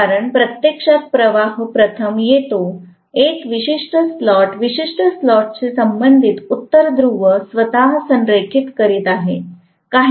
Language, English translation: Marathi, Because first the flux actually faces, you know a particular slot, corresponding to particular slot the North Pole is aligning itself